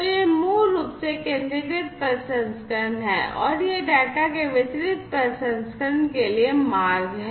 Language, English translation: Hindi, So, this is basically the centralized processing, and this one is the pathway for the distributed processing of the data